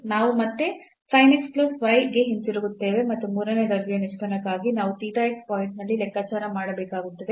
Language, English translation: Kannada, So, the third order derivatives similarly we will get back to again the sin x plus y and for the third order derivative we need to compute at theta x point